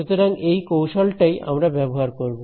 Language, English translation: Bengali, So, that is the strategy that we will use